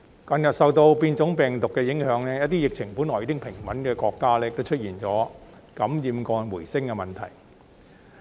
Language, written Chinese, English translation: Cantonese, 近日受到變種病毒的影響，一些疫情本來已穩定的國家也出現感染個案回升的問題。, Recently under the influence of mutant strains there is a resurgence of infections in certain countries where the epidemic has been stabilized earlier